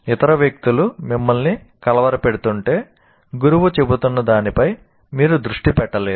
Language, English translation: Telugu, If the other people are disturbing you, obviously you cannot focus on what the teacher is saying